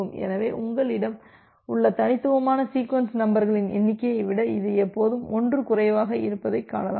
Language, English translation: Tamil, So, you can see that it is always 1 less than the total number of distinct sequence numbers that you have